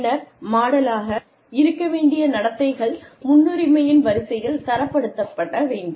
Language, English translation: Tamil, And then, the behaviors to be modelled, should be ranked, in order of priority